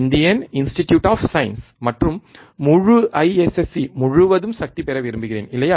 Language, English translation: Tamil, Indian Institute of Science, and I want to have power across whole IISC, right